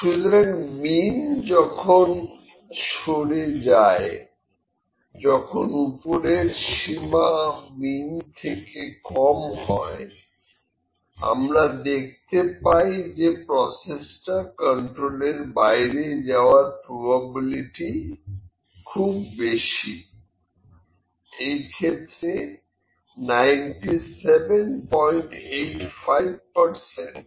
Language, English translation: Bengali, So, when the mean is shifted, when the upper bound is even lesser than mean we find that their probability of the process that would be out of control is very large 97